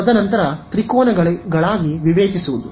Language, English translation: Kannada, Break it into triangles